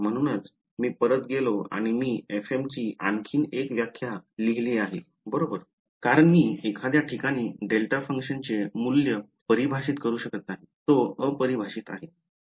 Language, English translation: Marathi, So, that is why I went back and I wrote another definition for f m right because I cannot define the value of a delta function at some point, its a undefined right